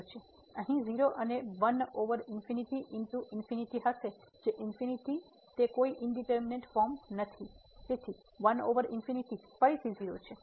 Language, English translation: Gujarati, So, 0 here and 1 over infinity into infinity will be infinity it is not an indeterminate form so, 1 over infinity this is 0 again